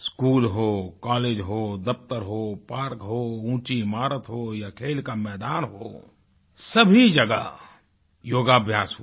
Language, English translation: Hindi, Schools, colleges, offices, parks, skyscrapers, playgrounds came alive as yoga venues